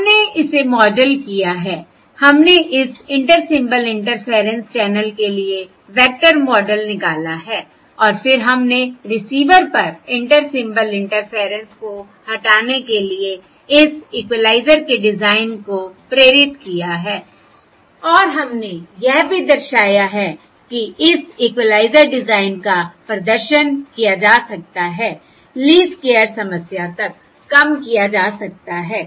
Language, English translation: Hindi, right, We have modelled it, we have extracted the vector model for this Inter Symbol Interference channel and then we have motivated this equaliser design to remove Inter Symbol Interference at the receiver and we have also demonstrated that this equaliser design can be demonstrated, can be reduced to a least squares problem